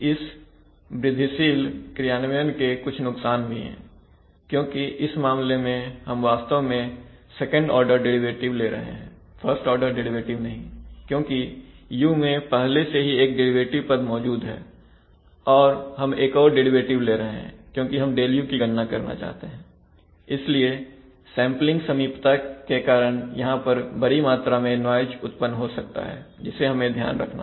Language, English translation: Hindi, There are some disadvantages of this of the incremental realization because of the sample realization and because we, in this case we are actually making a second order derivative not a first order derivative because there is also already a derivative term in u and we are making another derivative because we want to compute Δu, so because of sampling approximations a high amount of noise may be introduced there, that needs to be taken care of